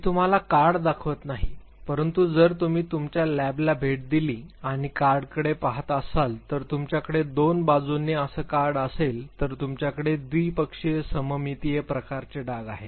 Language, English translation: Marathi, I am not showing you the card, but basically if you visit your lab and look at the card basically you have a card like this on the two sides you have a bilaterally symmetrical type of a blot